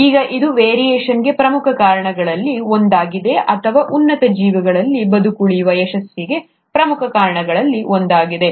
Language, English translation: Kannada, Now this has been one of the major reasons for variation and is one of the major reasons for success of survival in higher organisms